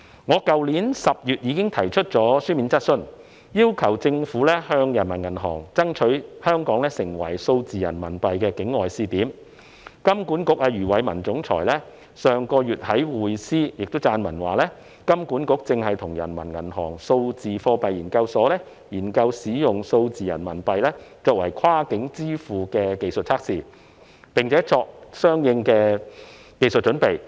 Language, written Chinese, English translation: Cantonese, 去年10月，我已經提出書面質詢，要求政府向中國人民銀行爭取香港成為數字人民幣的境外試點，金管局總裁余偉文上月亦在《匯思》撰文表示，金管局正在與中國人民銀行數字貨幣研究所研究使用數字人民幣進行跨境支付的技術測試，並作出相應的技術準備。, In my written question last October I already urged the Government to lobby PBoC to designate Hong Kong as a trial city outside the Mainland for digital RMB . In his Article in inSight last month the Chief Executive of HKMA Eddie YUE also stated that HKMA and the Institute of Digital Currency of PBoC are discussing the technical pilot testing of using digital RMB for making cross - boundary payments and are making the corresponding technical preparations